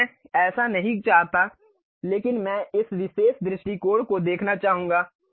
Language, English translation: Hindi, Now, I do not want that, but I would like to see one of this particular view